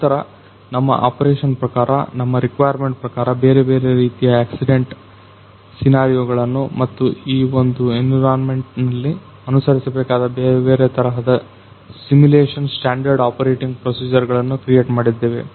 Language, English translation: Kannada, Then according to our operation; according to our requirement we created different kinds of accident scenarios and different kind of simulation standard operating procedures those are followed inside this particular environment